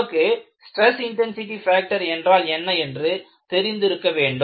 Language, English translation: Tamil, I said that you need to have, what is known as a stress intensity factor